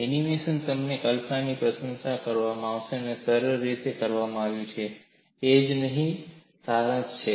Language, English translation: Gujarati, And this animation is nicely done to give you that visual appreciation and that is what is summarized here